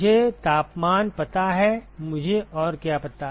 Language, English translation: Hindi, I know the temperatures what else do I know